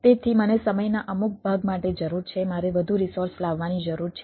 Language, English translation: Gujarati, some portion of the time i need to have a ah bring more resources